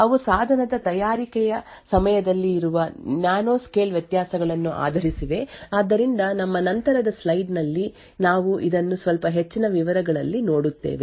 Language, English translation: Kannada, They are based on nanoscale variations in which are present during the manufacturing of the device, So, we will see this in little more details in our later slide